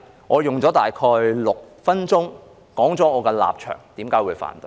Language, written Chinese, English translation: Cantonese, 我用了大概6分鐘說出我的立場和為何我會反對。, I have spent about six minutes explaining my position and reasons for my opposition